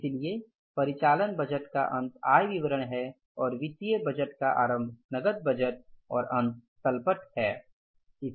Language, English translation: Hindi, So, end of the operating budget is the income statement and end of the financial budget is the beginning is with the cash budget and end is with the balance sheet